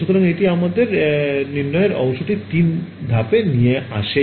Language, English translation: Bengali, So, that is actually brings us to step 3 the diagnosis part